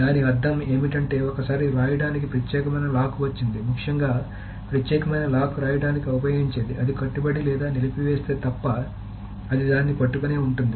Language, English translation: Telugu, So what it means is that once it has got an exclusive lock for writing, essentially exclusive lock is used for writing, it will hold onto it unless it commits or about